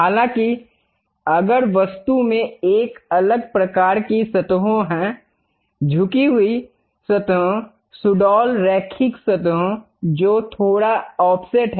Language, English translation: Hindi, However, if object have different kind of surfaces; inclined surfaces, curvy linear surfaces which are bit offset